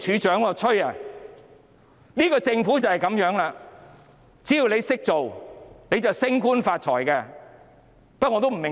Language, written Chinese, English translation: Cantonese, 這個政府就是這樣，只要"識做"，便可升官發財。, This is how the Government works . Being smart is the path to promotion and riches